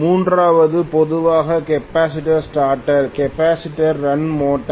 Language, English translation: Tamil, The third one normally maybe capacitor start, capacitor run motor